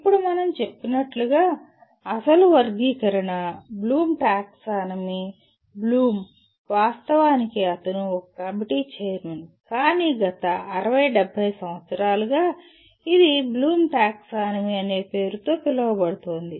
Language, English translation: Telugu, Now the as we mentioned, the original taxonomy, Bloom’s taxonomy, Bloom, of course he was a chairman of a committee that came out with but it the last 60, 70 years it goes with the name of as Bloom’s taxonomy